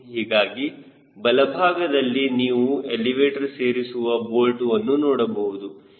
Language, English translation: Kannada, you can see the elevator mounting bolt here